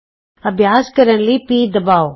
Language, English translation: Punjabi, Press p to start practicing